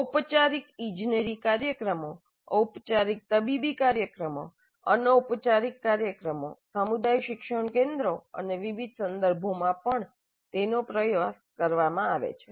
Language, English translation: Gujarati, It has been tried in formal engineering programs, formal medical programs, informal programs, community learning centers and in a variety of other contexts also it has been tried